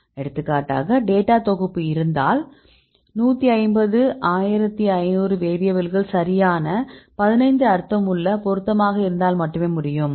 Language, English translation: Tamil, For example if you have a data set can 150 1500 variables right only if 15 of those meaningful relevant right